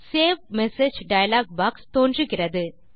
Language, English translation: Tamil, The Save Message As dialog box appears